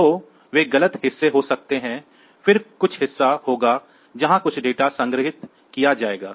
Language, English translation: Hindi, So, they can be the wrong part then there will some part where will be storing some data